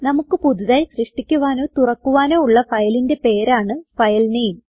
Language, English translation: Malayalam, filename is the name of the file that we want to open or create